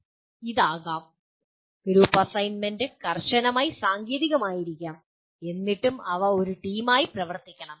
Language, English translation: Malayalam, This can be, group assignment could be strictly technical and yet they have to work as a team